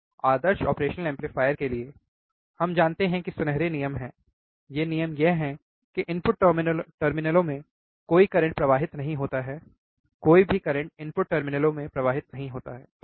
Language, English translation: Hindi, For ideal operational amplifier we know, right there are golden rules the golden rule is that no current flows into the input terminals, no current flows into the input terminals, right